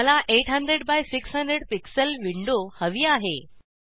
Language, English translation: Marathi, I need a window of size 800 by 600 pixels